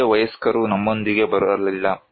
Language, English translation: Kannada, No grown ups came with us